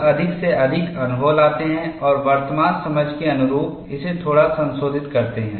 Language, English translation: Hindi, People bring in more and more experience and slightly modify it, to suit current understanding